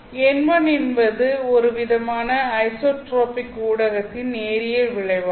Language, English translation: Tamil, Therefore, N1 actually is the result of a linear, homogeneous and isotropic medium